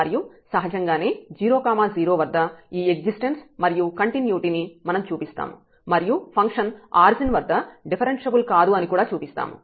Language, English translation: Telugu, And naturally we will show this existence continuity at 0 0 and also that the function is not differentiable at the origin